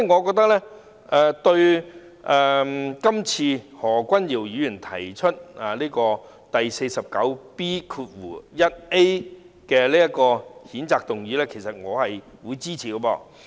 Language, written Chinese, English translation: Cantonese, 所以，對於何君堯議員根據《議事規則》第 49B 條動議譴責議員的議案，我表示支持。, Therefore I support the motion moved by Dr Junius HO under Rule 49B 1A of the Rules of Procedure to censure the Member